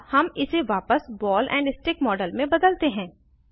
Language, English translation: Hindi, Let us now convert it back to ball and stick model